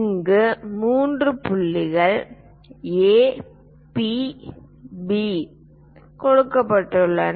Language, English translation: Tamil, Let us consider, here three points are given A, P, B